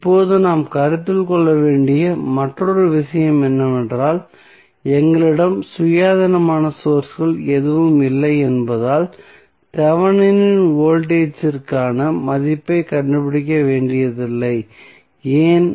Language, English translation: Tamil, Now, another thing which we have to consider is that since we do not have any independent source we need not to have the value for Thevenin voltage, why